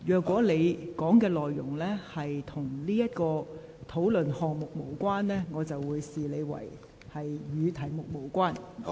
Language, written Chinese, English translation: Cantonese, 如你的發言內容與此議題無關，我便會視之為離題。, If your speech is irrelevant to the subject I will regard you as having deviated from the subject